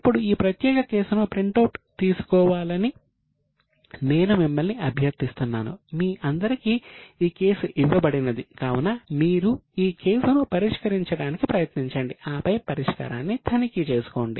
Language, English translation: Telugu, Now I will request you to take printout of this particular case, the case has been shared with you and now try to look, try to solve it and then check with the solution